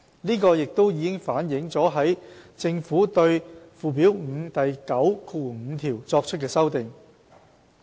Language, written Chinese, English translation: Cantonese, 這已反映在政府對附表5第95條作出的修訂。, This proposition is accordingly reflected in section 95 of Schedule 5